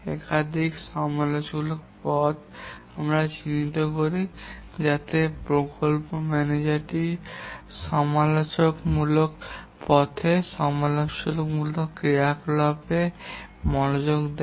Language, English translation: Bengali, There may be more than one critical path but we mark all the critical paths, typically on red color so that the project manager gives attention to the critical path in the critical activities